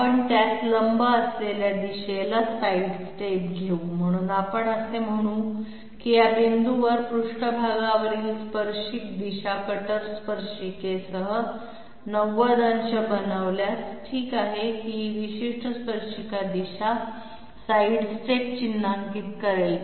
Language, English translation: Marathi, We will take sidestep at a direction perpendicular to it, so we will say that tangential direction on the surface at this point making 90 degrees with the cutter tangent okay that particular tangential direction will mark the direction of the sidestep